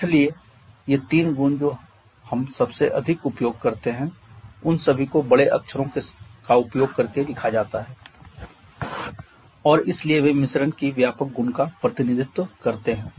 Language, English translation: Hindi, So these three properties that we most commonly used all of them are written in using capital letters and therefore they represent the extensive property of the mixture